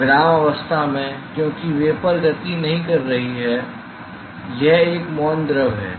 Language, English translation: Hindi, At rest because the vapor is not moving it is a quiescent fluid